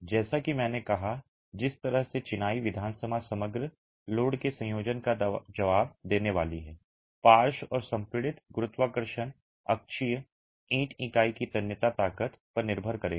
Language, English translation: Hindi, As I said, the way in which the masonry assembly, composite, is going to respond to a combination of loads lateral and compressive gravity axial will depend on the tensile strength of the brick unit